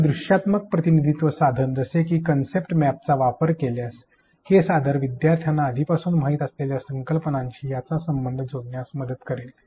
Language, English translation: Marathi, If you use a visual representation tool such as a concept map this will help learners in seeing connections between the idea that they already have